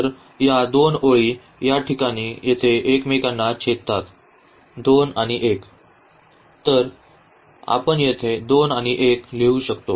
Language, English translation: Marathi, So, here these 2 lines intersect at this point here are 2 and 1; so, we can write down here 2 and 1